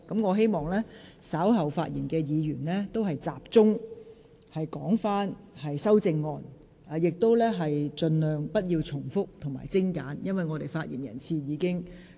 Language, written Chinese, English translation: Cantonese, 我希望稍後發言的議員可以集中論述本環節涉及的修正案，而且發言盡量精簡，不要重複論點。, I hope Members who are going to speak later on will focus their speech on the amendments relevant to this debate session and to make their speech as concise as possible . Please do not repeat your argument